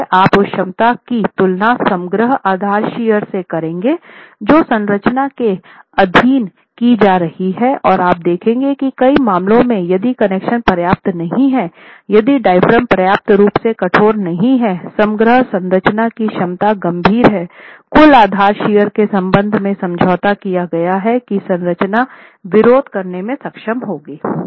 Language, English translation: Hindi, So, you will compare that capacity to the overall base shear that the structure is being subjected to and you will see that in many cases if the connections are not adequate, if the diaphragm is not adequately stiff, the overall structure's capacity is severely compromised with respect to the total base share that the structure will be able to resist